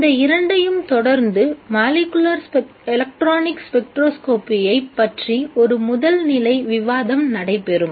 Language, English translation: Tamil, These two will be followed by a preliminary discussion on molecular electronic spectroscopy